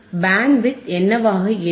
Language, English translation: Tamil, What will be Bandwidth